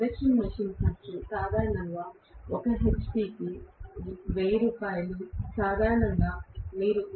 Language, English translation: Telugu, Induction machine cost is normally 1 hp cost Rs